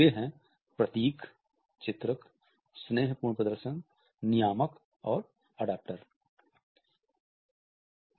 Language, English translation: Hindi, And they are emblems, illustrators, affective displays, regulators and adaptors